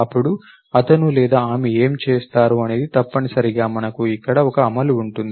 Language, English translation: Telugu, Then what he or she will do is essentially we have an implementation here